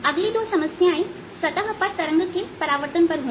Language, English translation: Hindi, next, two problems are going to be on the reflection of waves on a boundary